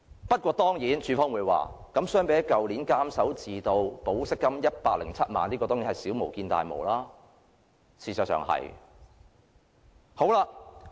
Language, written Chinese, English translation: Cantonese, 不過，當然署方會說，相比去年監守自盜、盜取保釋金107萬元的案件，這宗是小巫見大巫，事實的確如此。, But compared with the embezzlement case last year in which 1,070,000 bail money was stolen this case indeed pales into insignificance